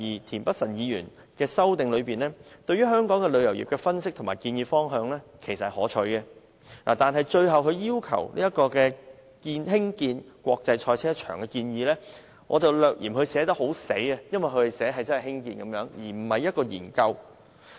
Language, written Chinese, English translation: Cantonese, 田北辰議員在其修正案中，對香港旅遊業所作的分析及建議方向，其實是可取的，但他最後提出興建國際賽車場的建議，則略嫌寫得"太死"，因為他要求政府興建而非進行研究。, Mr Michael TIENs analysis of the tourism industry of Hong Kong and his suggested direction of development as contained in his amendment are actually commendable but the proposal of constructing an international motor racing circuit at the end of his amendment is a bit too rigid . He is asking the Government to construct such a circuit instead of conducting studies on the proposal